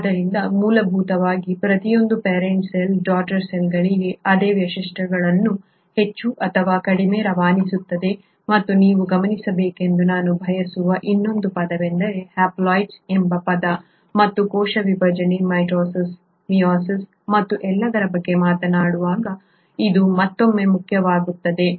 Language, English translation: Kannada, So essentially every parent cell will more or less pass on same features to the daughter cells and the other term that I want you to note is that term called haploids and this will again become important when we talk about cell division, mitosis, meiosis and all